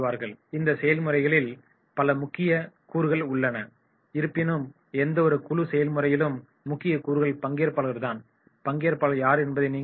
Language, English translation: Tamil, The key elements in group processes are, so in any group process you will find the key elements are the participants, who are the participants